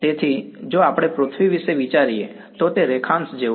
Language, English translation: Gujarati, So, it is like what if we think of earth this is like longitude right